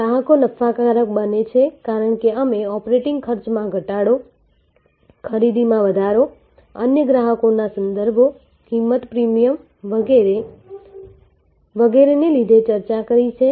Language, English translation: Gujarati, Customers become profitable as we discussed due to reduced operating cost, increase purchases, referrals to other customers, price premiums and so on